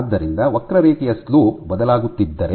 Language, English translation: Kannada, So, if the slope of the curve keeps on changing